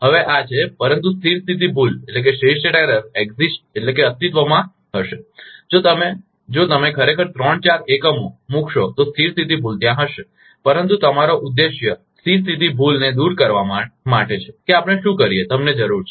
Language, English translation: Gujarati, Now, this is the, but the steady state error will exist if you if you really put three four units steady state error will be there, but your objective is to eliminate the steady state error